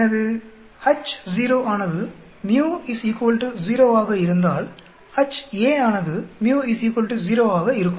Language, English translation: Tamil, If my H0 will be µ is equal to 0, Ha will be µ is not equal to 0